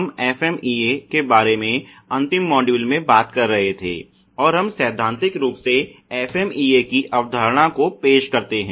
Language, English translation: Hindi, We were talking about FMEA and the last module and we theoretically introduce the concept of FMEA